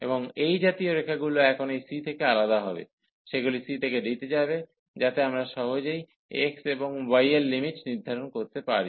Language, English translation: Bengali, And such lines now will vary from this c, they will go from c to d, so that is the way we can compute the easily put the limits for x and y